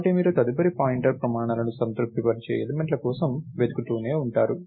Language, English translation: Telugu, So, you keep you keep looking for elements whose next pointer satisfies the criteria